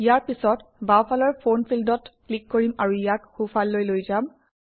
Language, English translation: Assamese, Next, let us click on the Phone field on the left and move it to the right